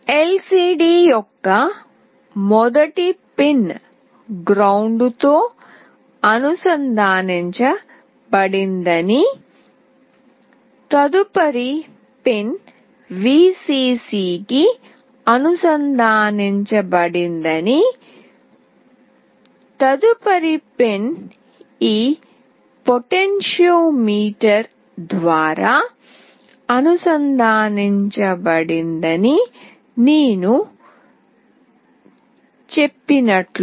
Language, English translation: Telugu, As I said the first pin of the LCD is connected with ground, the next pin is connected to Vcc, the next pin is connected through this potentiometer